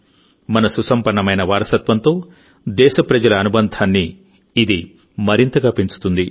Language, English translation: Telugu, This will further deepen the attachment of the countrymen with our rich heritage